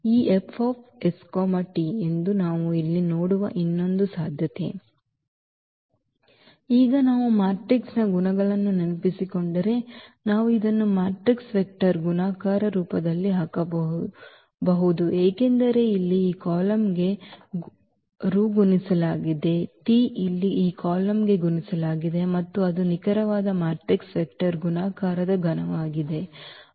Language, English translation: Kannada, And now this if we if we recall the properties of the matrix which we can put this in the form of matrix vector multiplication because s is multiplied to this column here, t is multiplied to this column here and that is exactly the property of the matrix vector multiplication